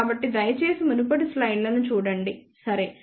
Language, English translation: Telugu, So, please refer to those earlier slides, ok